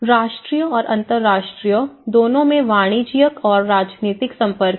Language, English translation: Hindi, Commercial and political contacts at both national and international